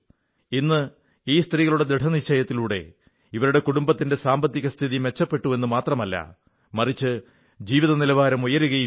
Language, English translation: Malayalam, Today, due to the resolve of these women, not only the financial condition of their families have been fortified; their standard of living has also improved